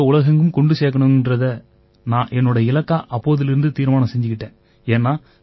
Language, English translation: Tamil, Since then I made it a mission to take Vedic Mathematics to every nook and corner of the world